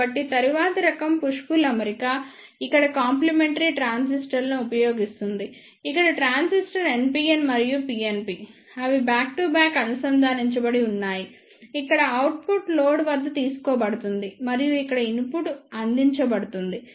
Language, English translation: Telugu, So, the next type of push pull arrangement is using the complementary transistors here the transistor are NPN and PNP they are connected back to back here the output is taken any load and the input is provided here